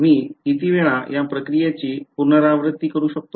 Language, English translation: Marathi, How many times can I repeat this process